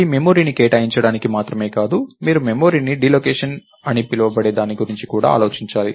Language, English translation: Telugu, Its not its also not enough to just allocate memory, you also have to think about what is called deallocation of memory